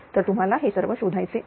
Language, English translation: Marathi, So, you have to find out all these right